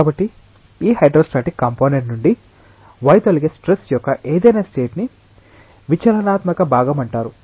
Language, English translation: Telugu, So, any state of stress which deviates from this hydrostatic part is known as deviatoric part